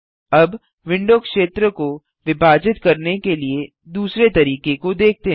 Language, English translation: Hindi, Now, lets see the second way to divide the window area